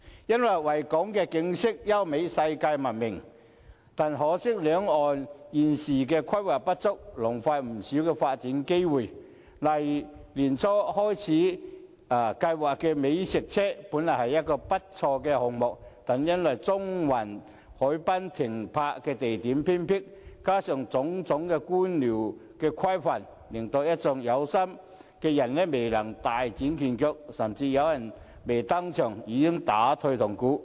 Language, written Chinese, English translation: Cantonese, 因為維港景色優美是世界聞名的，但可惜維港兩岸現時規劃不足，浪費不少發展機會，例如年初開始推行的美食車計劃，這個項目本來不錯，但由於中環海濱的停泊地點偏僻，加上種種官僚規範，令一眾有心人未能大展拳腳，甚至有人未登場已打退堂鼓。, The Victoria Harbour is world - renowned for its scenic beauty; unfortunately the current inadequate planning of both sides of the Victoria Harbour has wasted development opportunities . For example the idea of the food truck scheme implemented early this year was good yet owing to the remote parking location at the Central Harbourfront and various bureaucratic restrictions some interested parties cannot fully developed their business and some even backed out before the implementation of the scheme